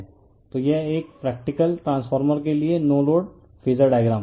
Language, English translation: Hindi, So, this is the no load phasor diagram for a practical transformer